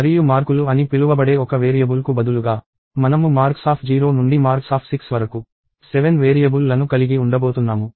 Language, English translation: Telugu, And instead of one variable called marks, we are going to have 7 variables named marks of 0 to marks of 6